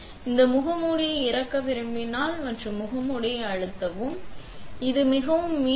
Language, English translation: Tamil, If you want to unload a mask, you press the change mask; it is pretty similar to loading it